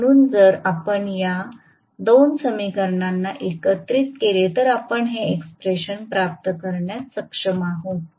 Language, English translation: Marathi, So, if you combine these 2 expressions I am sure you should be able to derive this expression